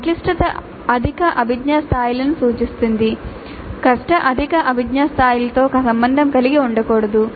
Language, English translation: Telugu, So, complexity refers to higher cognitive levels, difficulty should not be associated with higher cognitive levels